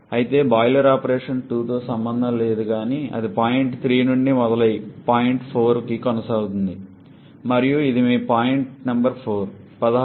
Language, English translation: Telugu, However, the boiler operation is associated with not 2 but it starts from point 3 and proceeds to point 4 and this is your point number 4